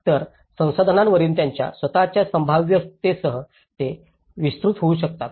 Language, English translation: Marathi, So, how they can expand with their own feasibilities on the resources